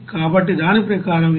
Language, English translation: Telugu, So, as per that it will be 372